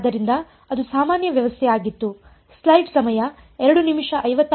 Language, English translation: Kannada, So, that was the general setup